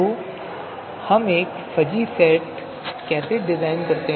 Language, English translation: Hindi, So how do we design a fuzzy set